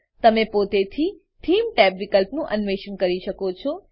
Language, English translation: Gujarati, You can explore the Theme tab options on your own